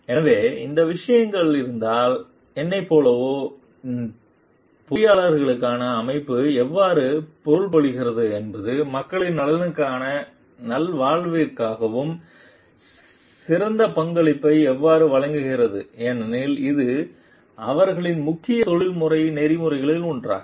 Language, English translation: Tamil, So, if those things are there and like me how the organization means for engineers is how maybe like the better contribute towards the maybe welfare of the and well being of the people at large because it is one of their main major professional ethics